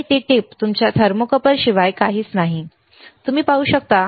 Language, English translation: Marathi, And that tip is nothing but your thermocouple, you can see